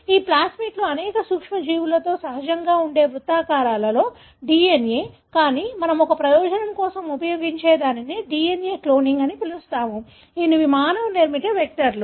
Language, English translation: Telugu, These plasmids are circular DNA that are present naturally in many of the microbes, but the one that we use for a purpose, what is called as DNA cloning, are the vectors that are man made